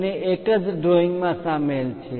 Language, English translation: Gujarati, Both are included in the same drawing